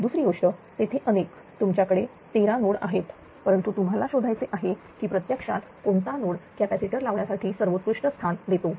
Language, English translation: Marathi, Second thing, second thing is that there are so many here you have thirteen nodes, but you have to find out which node actually gives the best location for the placement of the shunt capacitors right